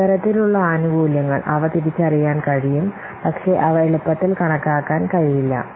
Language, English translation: Malayalam, Similarly, some benefits they can be identified but not they can be easily quantified